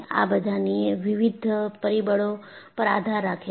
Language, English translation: Gujarati, It depends on various factors